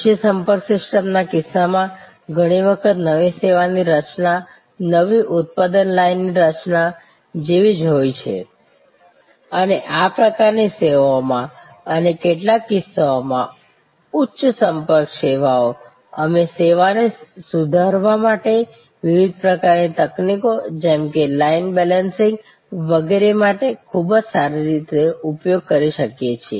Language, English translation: Gujarati, In case of a low contact system, often the creation of a new service is very similar to creation of a new manufacturing line and in this kind of services and even in some cases, some high contact services, we can very well use for improving the service, various kinds of techniques like line balancing and so on